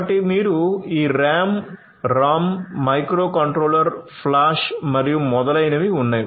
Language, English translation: Telugu, So, you have this RAM, ROM microcontroller flash and so on